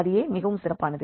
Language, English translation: Tamil, Why that is very special